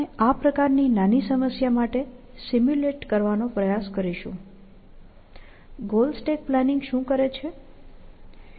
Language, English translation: Gujarati, We will, sort of, try to simulate for this small problem; what goal stack planning does